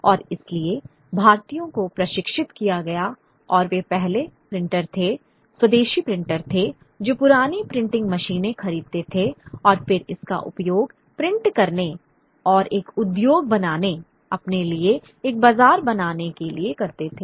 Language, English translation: Hindi, And so the Indians got trained and they were the first printers, indigenous printers, who would buy old printing machines and then use it to print and create an industry, create a market for themselves